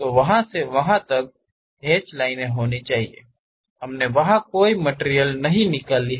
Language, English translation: Hindi, So, from there to there, there should be hashed lines; we did not remove any material there